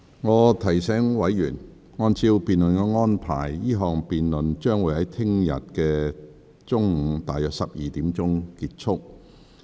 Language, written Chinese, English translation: Cantonese, 我提醒委員，按照辯論安排，這項辯論將於明天約中午12時結束。, Let me remind Members that according to the arrangements for the debate this debate will come to a close at around 12col00 pm tomorrow